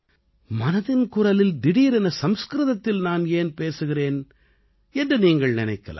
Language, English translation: Tamil, You must be thinking why I am suddenly speaking in Sanskrit in ‘Mann Ki Baat’